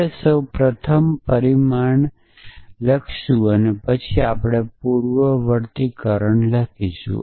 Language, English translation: Gujarati, So, we write the consequent first and then we write the antecedent